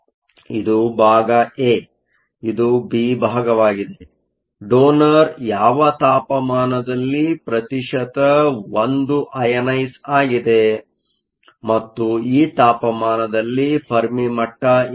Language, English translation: Kannada, This is part a in part b, at what temperature is the donor 1 percent ionized and where is the fermi level located at this temperature